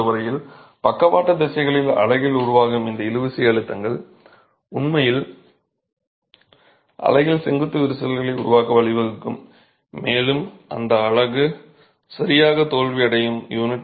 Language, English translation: Tamil, So, as far as failure is concerned, these tensile stresses developing in the unit, in the lateral direction will actually lead to formation of vertical cracks in the unit and that's how the unit will fail